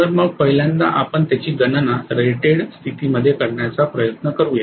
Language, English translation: Marathi, Okay so first of all let us try to calculate it under rated condition right